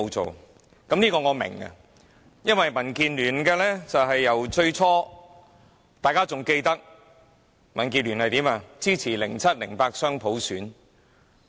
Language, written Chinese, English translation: Cantonese, 這點我也明白，因為民建聯最初是——大家還記得——支持2007年及2008年雙普選。, I understand this point . Because at the beginning the Democratic Alliance for Betterment of Hong Kong DAB―everyone should remember that―supported the dual universal suffrage in 2007 and 2008